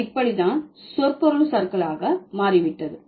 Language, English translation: Tamil, So, that's how it has become semantic drift